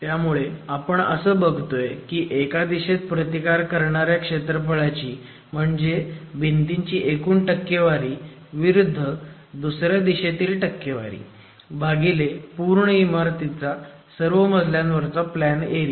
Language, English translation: Marathi, So, looking at total percentage of wall resisting area in one direction versus another direction divided by the total plan area of the building in all the floors